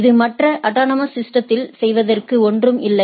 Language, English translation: Tamil, It is nothing to do with the other autonomous system